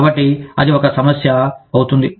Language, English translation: Telugu, So, that becomes an issue